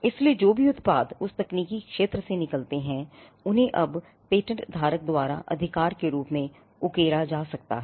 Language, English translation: Hindi, So, whatever products that can come out of that technological area can now be carved as a right by the patent holder